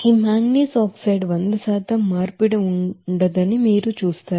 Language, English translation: Telugu, You will see that there will be no hundred percent conversion of this manganese oxide